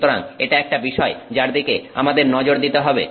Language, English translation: Bengali, So, that is something that we need to look at